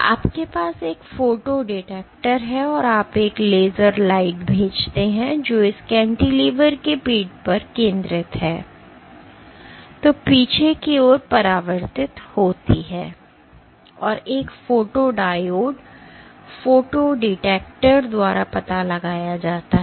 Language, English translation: Hindi, You have a photo detector and you send a laser light, which focuses on the back of this cantilever and reflects of the back and gets detected by a photodiode, photo detector